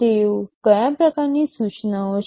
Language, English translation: Gujarati, What kind of instructions are they